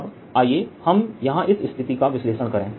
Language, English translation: Hindi, i am right now let us analyze that situation